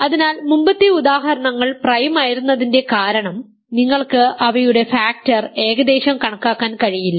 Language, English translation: Malayalam, So, the reason that earlier examples were prime was you could not factor them roughly that is the reason